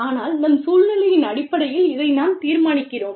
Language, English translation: Tamil, But, we decide this, based on our situation